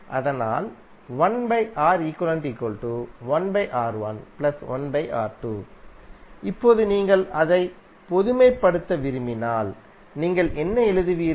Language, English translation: Tamil, Now if you want to generalise it what you will what you can write